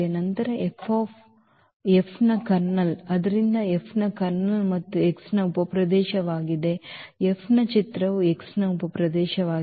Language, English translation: Kannada, Then the kernel of F, so, this kernel of F and is a subspace of X and also image of F is a subspace of X